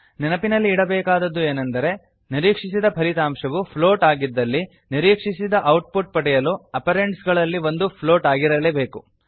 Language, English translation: Kannada, Keep in mind that when the expected result is a float, one of the operands must be a float to get the expected output